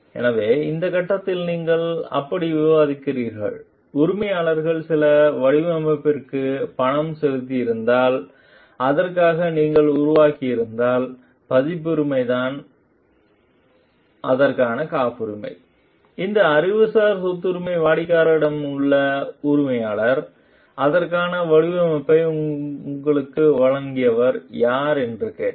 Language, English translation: Tamil, So, in this phase what you are discussing like that, if the employer has paid for certain design and you have developed for it then the copyright the patent for it right, these intellectual property rights remains with the client the employer, who has asked you who has supplied you the design for it